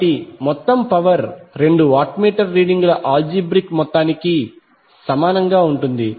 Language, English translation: Telugu, So this is what we get from the two watt meter algebraic sum